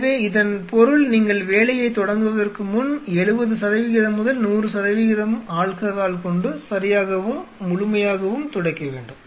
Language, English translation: Tamil, So, it means before you start the work you wipe it with alcohol properly thoroughly 70 percent to 100 percent alcohol